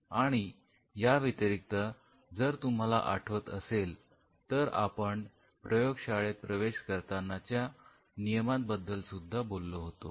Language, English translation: Marathi, And apart from it if you remember where we talked about entering into inside the lab